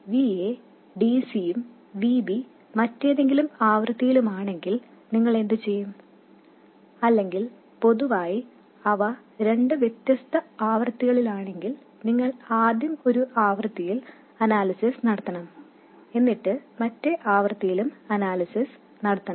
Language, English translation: Malayalam, Now, what do you do if VA is DC and VB is some other frequency or in general there of two different frequencies, you have to first do the analysis at one frequency and then at another frequency